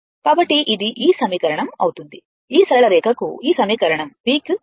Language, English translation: Telugu, So, it will be your this equation this equation for this straight line will be your V is equal to your that your